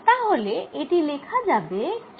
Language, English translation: Bengali, then i can write this as q delta of r